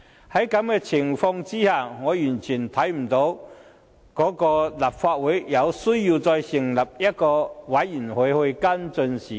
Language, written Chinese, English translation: Cantonese, 在這種情況下，我完全看不到立法會有需要再成立專責委員會跟進事件。, Under these circumstances I really see no reason for the Legislative Council to appoint a select committee to follow up the incident